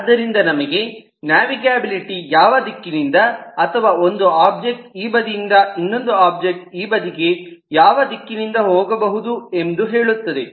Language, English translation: Kannada, so navigability tells us which direction or which directions in which i can go from one object on this side to another object in this side